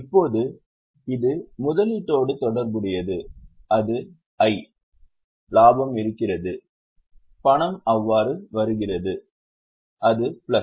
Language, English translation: Tamil, Now this is related to investment, so it is I, profit has so money is coming in, so it is plus